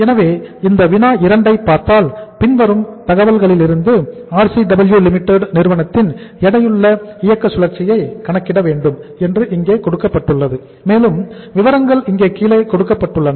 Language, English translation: Tamil, So if you look at this problem uh problem number 2 say uh it is written here that calculate the weighted operating cycle of RCW Limited from the following information or the information given here as under